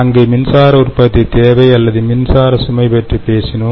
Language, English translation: Tamil, so there we talked about electricity generation required or electricity load